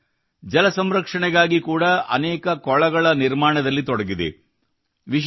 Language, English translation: Kannada, This team is also engaged in building many ponds for water conservation